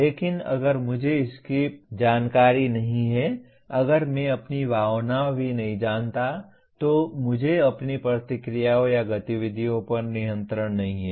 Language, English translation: Hindi, But if I am not even aware of it, if I do not even know my own emotion, I do not have control over my reactions or activities